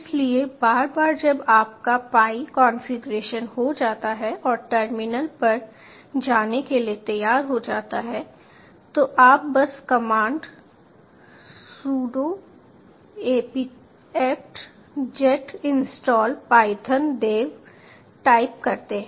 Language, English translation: Hindi, so once your pi is configured and ready to go on the terminal, you just take the commands sudo apt get install python dash dev